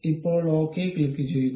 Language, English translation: Malayalam, Now, click ok